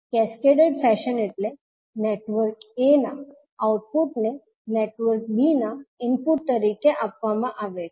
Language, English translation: Gujarati, Cascaded fashion means the network a output is given as an input to network b